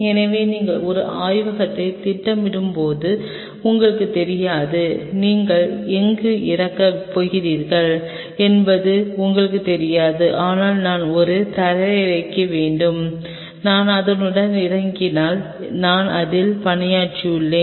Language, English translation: Tamil, So, you never know when you are planning a lab you really do not know where you are going to land up with, but you have to have a provision that you know if I land up with it I will be working on it